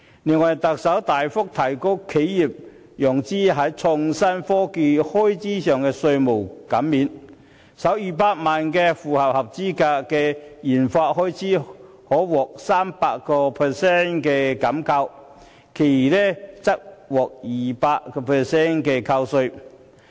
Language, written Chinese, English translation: Cantonese, 另外，特首大幅提高企業在創新科技開支方面的稅務減免，首200萬元的合資格研發開支可獲 300% 扣稅，餘額則獲 200% 扣稅。, Moreover the Chief Executive proposes a significant increase in tax deduction for expenditure incurred by enterprises on research and development RD . Under this proposal the first 2 million eligible RD expenditure will enjoy a 300 % tax deduction with the remainder at 200 %